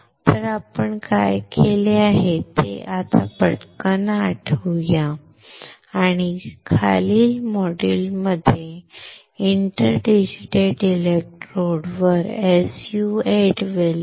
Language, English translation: Marathi, So, let us quickly recall what we have done, and we will see the SU 8 well on this interdigital electrode in the following modules